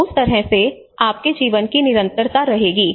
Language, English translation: Hindi, So in that way, your continuity of your life will be there